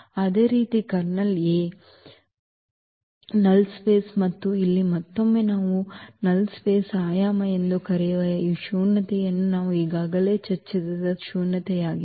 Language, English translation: Kannada, Similarly, the kernel A was null space of A and here again this nullity which we call the dimension of the null space, so that is the nullity which we have discussed already before